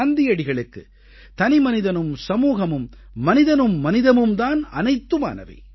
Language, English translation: Tamil, For Mahatma Gandhi, the individual and society, human beings & humanity was everything